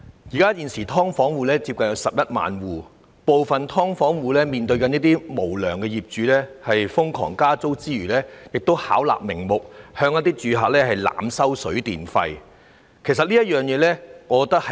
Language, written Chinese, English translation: Cantonese, 現時有接近11萬"劏房戶"，當中有一部分除面對無良業主瘋狂加租外，亦遭到他們巧立名目，濫收水電費，這實為社會的悲哀。, There are nearly 110 000 households living in subdivided units now and some of them are subject to excessive rental increases by unscrupulous landlords who have even gone so far as to fabricate various reasons to overcharge their tenants for their water and electricity consumption . This is indeed an unfortunate situation in our society